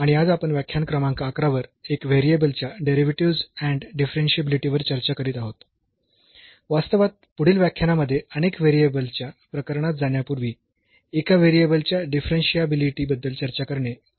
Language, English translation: Marathi, And today’s we are discussing lecture number 11 on Derivatives and Differentiability of One Variable; actually it is very important to discuss differentiability of one variable before we go for the several variable case in the next lecture